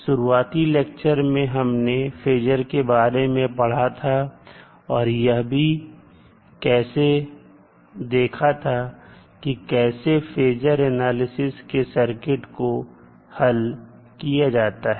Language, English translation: Hindi, So, in the initial lectures we discussed what is phasor and how we will solve the circuit with the help of phasor analysis